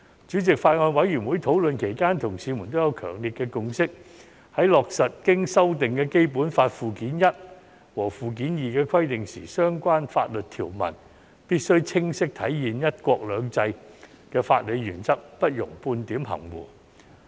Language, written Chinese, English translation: Cantonese, 主席，法案委員會討論期間，同事們也有強烈的共識，在落實經修訂的《基本法》附件一和附件二的規定時，相關法律條文必須清晰體現"一國兩制"的法理原則，不容半點含糊。, Chairman during the deliberation of the Bills Committee my colleagues reached a strong consensus that in implementing the requirements of Annex I and Annex II to the Basic Law as amended the relevant legal provisions must clearly reflect the legal principle of one country two systems and allow no ambiguity